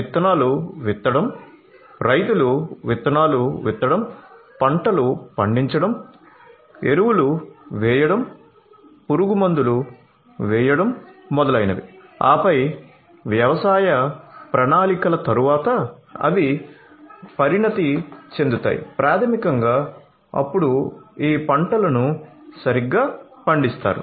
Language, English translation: Telugu, So, let us say that sowing of seeds, sowing seeds the farmers are going to sow seeds, grow crops, apply fertilizers, apply pesticides, etcetera and then after the agricultural plans they become matured, then basically these crops are harvested right